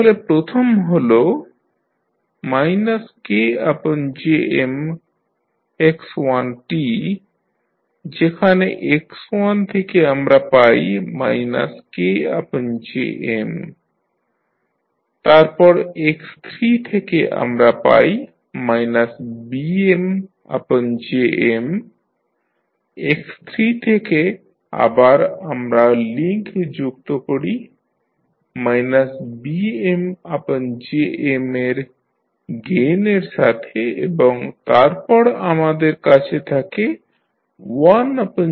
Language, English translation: Bengali, So, first is minus K by Jm into x1, so from x1 we get minus K by Jm, then from x3 we get minus Bm by Jm, so from x3 we connect the link again with gain of minus Bm by Jm and then you have 1 upon Jm Tm